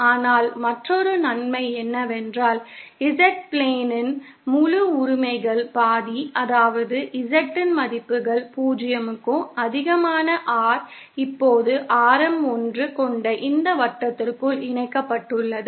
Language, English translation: Tamil, But another advantage is that the entire rights half of the Z plane, that is those values of Z for which r greater than 0 is now enclosed within this circle having radius 1